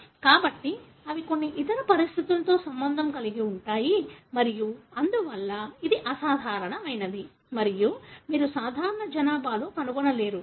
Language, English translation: Telugu, So, they are associated with certain other conditions and therefore this is abnormal, and you don’t find in the normal population